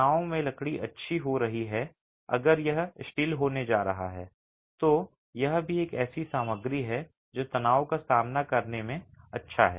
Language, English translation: Hindi, The timber being good in tension, if it is going to be steel, that also is a good material that is good in resisting tension